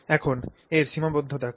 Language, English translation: Bengali, Now, what are some limits here